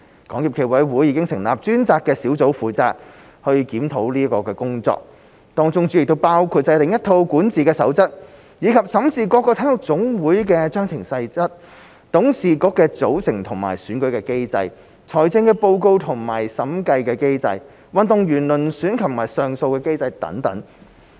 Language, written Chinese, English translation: Cantonese, 港協暨奧委會已成立專責小組負責檢討工作，當中主要包括制訂一套管治守則，以及審視各體育總會的章程細則、董事局的組成及選舉機制、財政報告及審計機制、運動員遴選及上訴機制等。, SFOC has established a dedicated team to carry out the review . The major components of this review include the formulation of a code of governance and an audit on the Articles of Association of all NSAs composition of their executive boards and election mechanism financial reporting and auditing mechanism selection of athletes and appeal mechanism etc